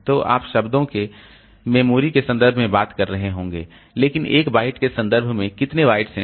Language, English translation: Hindi, So, we may be talking in terms of words, memory words, but in terms of bytes, how many bytes it refers to